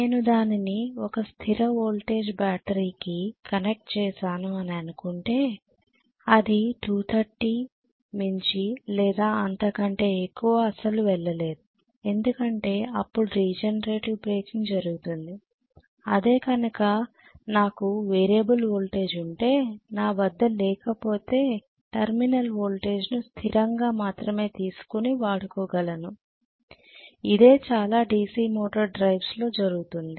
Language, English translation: Telugu, I have connected it let us say to a fixed voltage battery, it cannot go beyond or above or you know in no way it can go beyond 230 only because of that regenerative breaking is taking place, if I have a variable voltage, if I do not have a variable voltage only way it can work is having the terminal voltage as a constant which is what happens in most of the DC motor derives